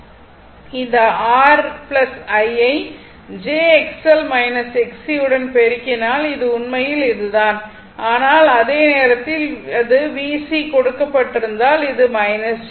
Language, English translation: Tamil, So, if you do, so if you multiply this R plus I into j X L minus X C, so this is actually this, but at the time same time if it is V C is given minus j